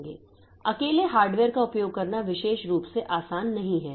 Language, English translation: Hindi, So, bare hardware alone is not particularly easy to use